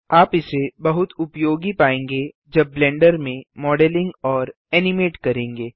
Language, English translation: Hindi, You will find this very useful when modeling and animating in Blender